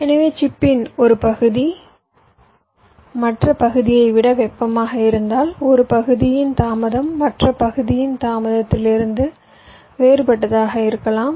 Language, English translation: Tamil, so if one part of chip is hotter than other part, so may be the delay of one part will be different from the delay of the other part